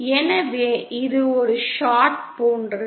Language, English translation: Tamil, So it is like a short